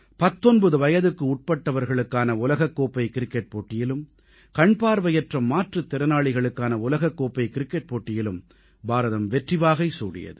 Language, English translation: Tamil, India scripted a thumping win in the under 19 Cricket World Cup and the Blind Cricket World Cup